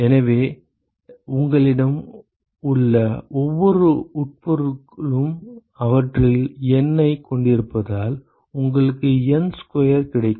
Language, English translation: Tamil, So, every entity you have N of them so that gives you N square